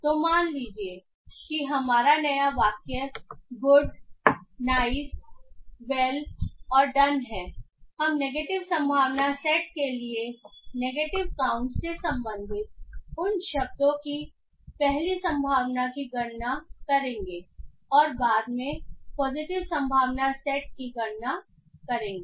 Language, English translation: Hindi, So suppose our new sentence is good, nice, well and done, we will calculate first the probability of those words belonging to the negative counts or the negative probability set and then to the positive probability set